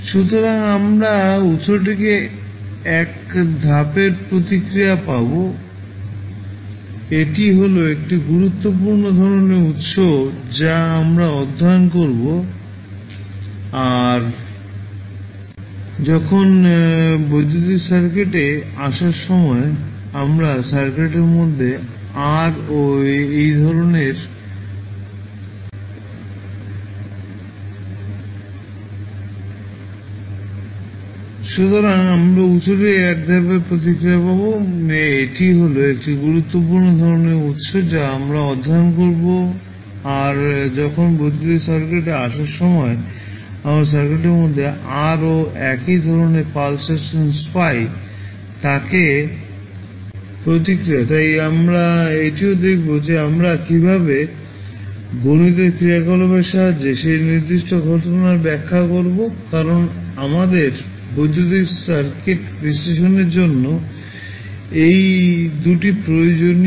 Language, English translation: Bengali, So, we will get one step response of the source so, that is one important type of source which we will study plus when we have the surges coming in the electrical circuit we get another type of pulse in the circuit, that is called the pulse response so, that also we will see how we will interpret that particular event with the help of mathematical function because these two are required for analysis of our electrical circuit so we will see how we will represent both of them in a mathematical term